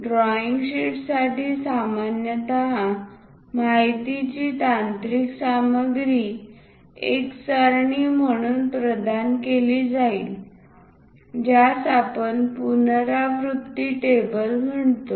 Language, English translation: Marathi, For the drawing sheet usually the technical content or the information will be provided as a table that’s what we call revision table